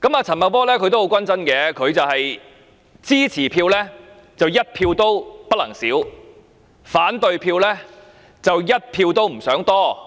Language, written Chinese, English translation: Cantonese, 陳茂波也很關注，支持他的票，一票也不能少，反對票則一票也不想多。, Paul CHAN is also very concerned about this . He does not want to miss even one supporting vote and likewise he does not want to have one more opposing vote